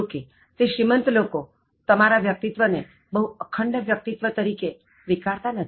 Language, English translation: Gujarati, However, those rich people are not going to assess you in terms of your personality as a very integrated personality